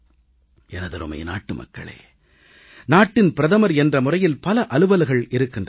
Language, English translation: Tamil, My dear countrymen, as Prime Minister, there are numerous tasks to be handled